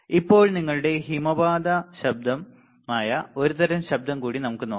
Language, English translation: Malayalam, Now, let us one more kind of noise which is your avalanche noise